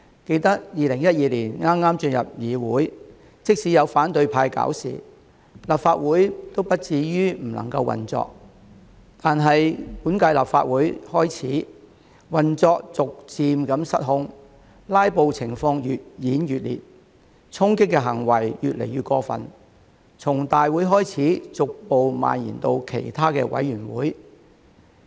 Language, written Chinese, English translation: Cantonese, 記得2012年剛進入議會，即使有反對派"搞事"，立法會亦不至於不能夠運作，但本屆立法會開始，運作逐漸失控，"拉布"情況越演越烈，衝擊行為越來越過分，從大會開始，逐步蔓延到其他委員會。, I remember that in the early days of our legislative work in 2012 the Council never reached the point of dysfunctionality even though the opposition stirred up trouble but from the beginning of this term its operation gradually went out of control with a growing trend of rampant filibustering and outrageous storming progressively spreading from the Council to the committees